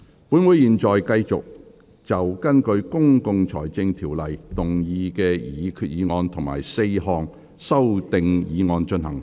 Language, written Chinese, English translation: Cantonese, 本會現在繼續就根據《公共財政條例》動議的擬議決議案及4項修訂議案進行合併辯論。, This Council now continues with the joint debate on the proposed resolution and the four amending motions under the Public Finance Ordinance